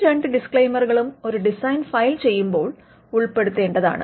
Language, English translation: Malayalam, So, these two disclaimers have to be made while filing the design